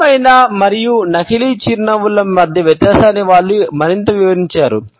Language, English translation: Telugu, They further described the difference between the genuine and fake smiles